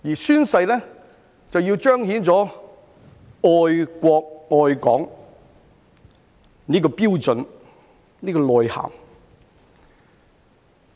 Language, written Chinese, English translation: Cantonese, 宣誓是要彰顯愛國、愛港的標準、內涵。, Oath - taking is to show the standard or connotation of patriotism and the love of Hong Kong